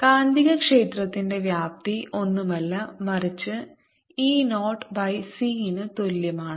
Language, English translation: Malayalam, the magnetic field magnitude is nothing but e, zero over c